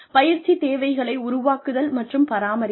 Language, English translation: Tamil, Creation and sustenance of training needs